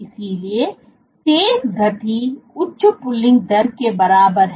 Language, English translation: Hindi, So, faster speed is equivalent to higher pulling rate